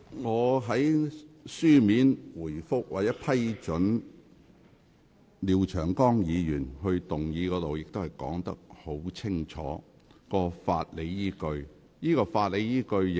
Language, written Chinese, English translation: Cantonese, 我在書面回覆中，已說明了我批准廖長江議員動議擬議決議案的法理依據。, I have already stated in my written reply the legal justification for admitting the proposed resolution moved by Mr Martin LIAO